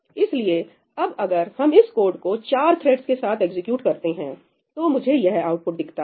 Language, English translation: Hindi, So, now, if we execute this code with four threads this is the output I see